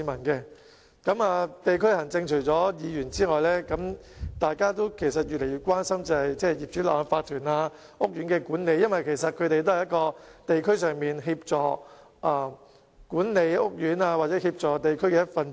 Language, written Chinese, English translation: Cantonese, 議員除了關心地區行政之外，亦越來越關心業主立案法團的情況及屋苑的管理，因為他們也是在地區上協助管理屋苑的一分子。, Apart from keeping an interest in district administration DC members have become increasingly concerned about the situation of owners corporations OCs and the management of housing estates because they also have a part to play in helping the management of housing estates in the districts